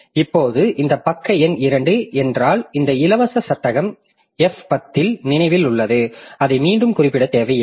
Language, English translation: Tamil, Now, if this page number 2, this free frame that is remembered that in a in F10 it is there, then I don't need to refer to that again